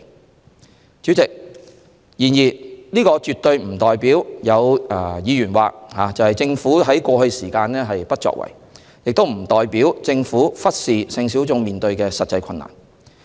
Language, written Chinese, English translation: Cantonese, 然而，主席，政府絕非如議員所言在過去不作為，亦不代表政府忽視性小眾所面對的實際困難。, However President there has been absolutely no government inaction in the past as Members have said just now . Besides it does not mean that the Government neglects the actual problems sexual minorities are facing